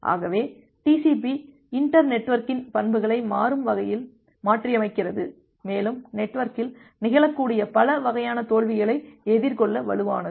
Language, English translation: Tamil, Well so, TCP dynamically adapts to the properties of the inter network, and is robust to face many kind of failures which may happen in the network